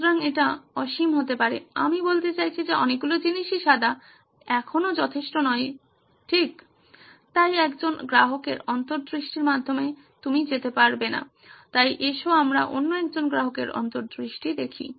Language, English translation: Bengali, So this could be infinite I mean there are so many things that are white still not enough right, so with one customer insight you cannot go along, so let us get another customer insight